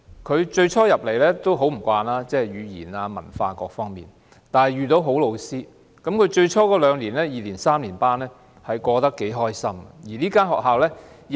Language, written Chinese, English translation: Cantonese, 他最初很不習慣，例如語言、文化等各方面，但他遇到好老師，最初二、三年級過得頗愉快。, At first he could not quite get used to the school life such as the language and culture but the good teachers he encountered in Primary 2 and Primary 3 made his school life very pleasant